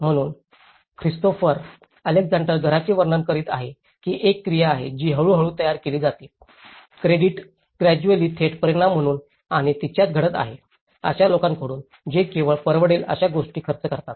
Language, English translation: Marathi, So, as Christopher Alexander describes a house is an activity which is ëcreated gradually, as a direct result of living which is happening in it and around ití by people who spend only what they can afford